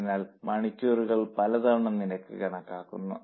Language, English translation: Malayalam, So, many times a rate per hour is calculated